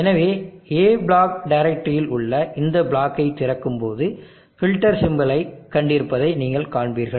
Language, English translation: Tamil, So you will see that when I open this block in the A block directory, I have see the filter symbol